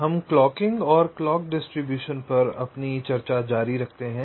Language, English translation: Hindi, so we continue with our ah discussion on clocking and clock distribution again